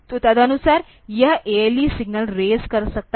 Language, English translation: Hindi, So, accordingly it can raise the ALE signal